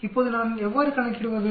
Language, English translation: Tamil, Now how do I calculate